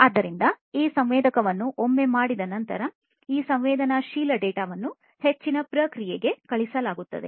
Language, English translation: Kannada, So, this sensing once it is done, this sensed data is sent for further processing